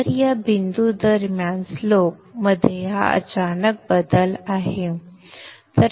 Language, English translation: Marathi, So this is a sudden change in the slope during this point